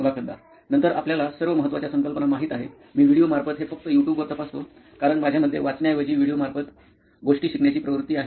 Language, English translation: Marathi, Then you know all the important concepts I just check it from the YouTube, like videos, because I have a tendency of learning things on video rather than reading it a lot